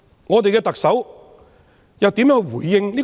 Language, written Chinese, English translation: Cantonese, 我們的特首又怎樣回應？, So what has been the response of our Chief Executive?